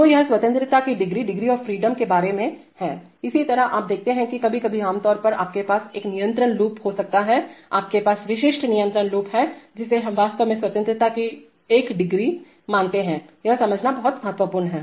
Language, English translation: Hindi, So this is what degrees of freedom is about, similarly you see that sometimes typically in a control loop you can, you have, typical control loop that we consider actually one degree of freedom, this is, this is very important to understand